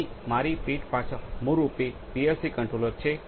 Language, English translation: Gujarati, So, on my back is basically the PLC controller